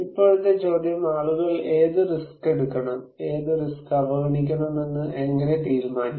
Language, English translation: Malayalam, Now, the question is, how then do people decide which risk to take and which risk to ignore